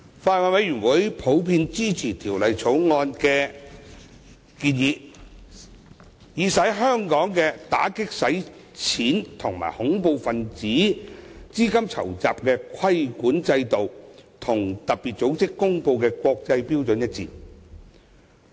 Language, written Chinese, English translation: Cantonese, 法案委員會普遍支持《條例草案》的建議，以使香港的打擊洗錢和恐怖分子資金籌集規管制度與特別組織公布的國際標準一致。, The Bills Committee supports the proposals of the Bill in general which would align Hong Kongs anti - money laundering and counter - terrorist financing regulatory regime with the international standards as promulgated by FATF